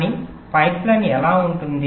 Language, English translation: Telugu, but how a pipeline looks like